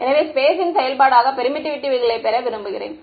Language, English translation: Tamil, So, I want permittivity as a function of space